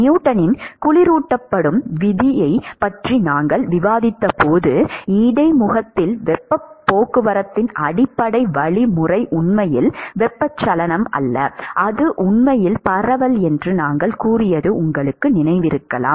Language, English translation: Tamil, You may remember that when we discussed Newton’s law of cooling, we said that the basic mechanism of heat transport at the interface is actually not convection it is actually diffusion